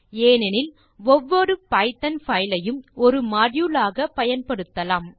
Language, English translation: Tamil, This is also possible since every python file can be used as a module